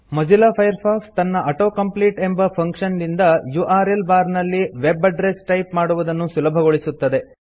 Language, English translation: Kannada, Mozilla Firefox makes it easy to type web addresses in the URL bar with its auto complete function